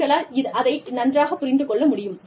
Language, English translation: Tamil, And, you will be able to understand it